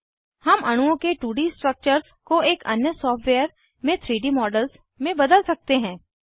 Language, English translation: Hindi, We can convert 2D structures of molecules drawn in another software into 3D models